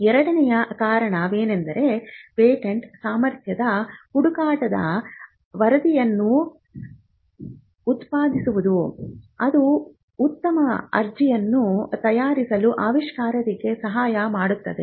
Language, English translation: Kannada, The second reason is that a patentability search which generates a report can help you to prepare a better application